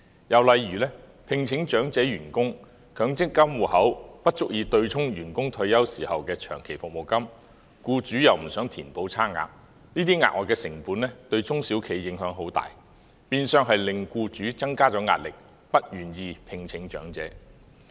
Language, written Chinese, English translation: Cantonese, 又例如，聘請長者員工，其強積金戶口不足以對沖員工退休時的長期服務金，但僱主又不想填補差額，這些額外成本對中小企的影響很大，變相令僱主增加壓力，不願意聘請長者。, To cite another example if elderly employees are hired the funds in their Mandatory Provident Fund accounts are not sufficient for offsetting the long service payment for employees when they retire yet employers do not want to make up for the shortfall as these additional costs have a great impact on SMEs so employers are effectively under greater pressure and are unwilling to hire elderly people